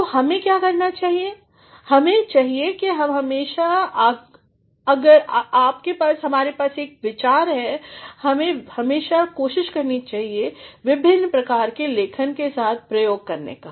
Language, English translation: Hindi, So, what one should do is one should always if one has an idea one should always try to experiment with different kinds of writing